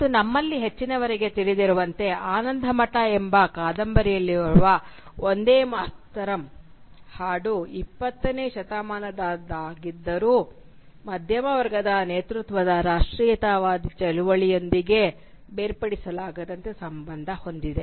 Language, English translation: Kannada, And as most of us will know, the song Vande Mataram, which is contained in this novel Anandamath, was inextricably associated with the middle class led nationalist movement throughout the 20th century